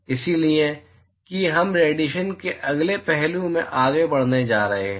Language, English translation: Hindi, So, that we are going to move into the next aspect of Radiation